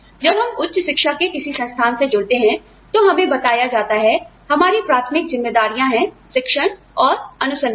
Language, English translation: Hindi, When we join an institute of higher education, we are told that, our primary responsibilities are, teaching and research